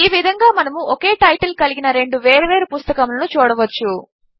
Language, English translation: Telugu, This way, we can have two completely different books with the same title